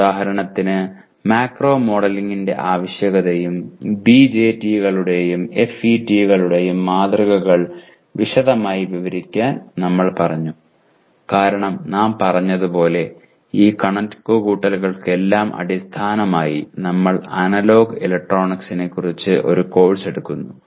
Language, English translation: Malayalam, For example we said explain in detail the need for macro modeling and the models of BJTs and FETs because as we said we are giving a course on analog electronics as the basis for all these computations